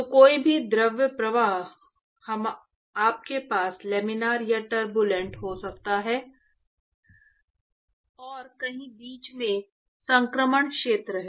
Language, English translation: Hindi, So, any fluid flow, you can have either Laminar or Turbulent and somewhere in between is the transition region